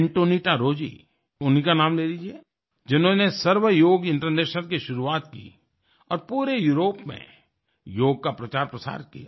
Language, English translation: Hindi, AntoniettaRozzi, has started "Sarv Yoga International," and popularized Yoga throughout Europe